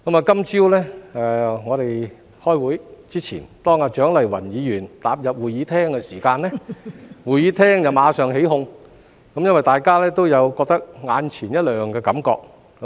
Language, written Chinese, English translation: Cantonese, 今天早上在我們開會之前，當蔣麗芸議員踏入會議廳時，會議廳內眾人馬上起哄，因為大家都有眼前一亮的感覺。, Before the meeting started this morning Dr CHIANG Lai - wan stepped into Chamber immediately causing quite a commotion in the Chamber as her appearance has caught everyones eye